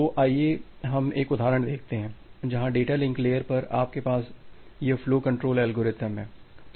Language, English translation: Hindi, So, let us look into one example where you have this flow control algorithm at the data link layer